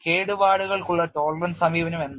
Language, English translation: Malayalam, What is the approach of damage tolerance